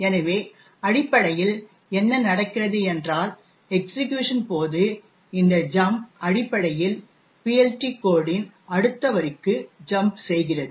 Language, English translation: Tamil, So, essentially what happens is that during the execution this jump essentially jumps to the next line in the PLT code